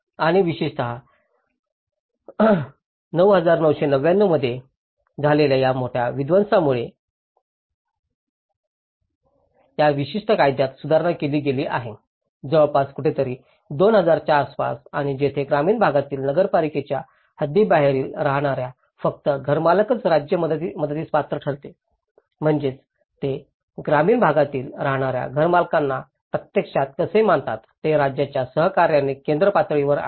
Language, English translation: Marathi, And especially, due to this major devastation in1999, this particular law has been amended, somewhere around 2000 and this is where that only homeowners in rural areas who live in outside the municipal boundaries would still qualify for state assistance, so which means, so on a central level in collaboration with the state how they actually also considered the homeowners living in the rural areas